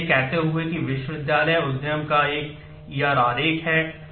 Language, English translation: Hindi, So, having said that this is a the E R diagram of the university enterprise